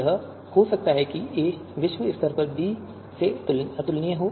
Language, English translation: Hindi, It could be that a is globally incomparable to b